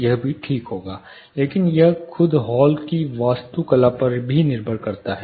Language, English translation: Hindi, This also would be fine, but it also depends on the architecture of the hall itself, look and feel